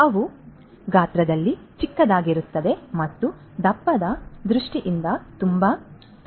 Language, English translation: Kannada, So, they are small in size and also in very thin in terms of thickness